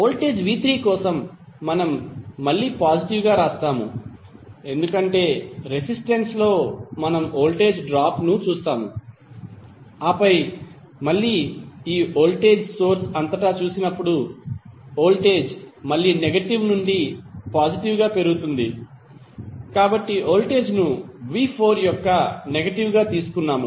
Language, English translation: Telugu, For voltage v¬3¬ we will again write as positive because the, across the resistance we will see the voltage drop and then again when we go across this voltage source, the voltage is again rising form negative to positive so we have taken voltage as negative of v¬4¬